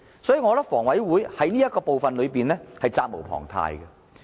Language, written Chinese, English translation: Cantonese, 所以，我覺得房委會在這方面是責無旁貸的。, Hence I think HA has an unshirkable responsibility in this regard